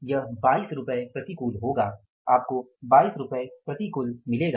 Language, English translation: Hindi, This will be 22 adverse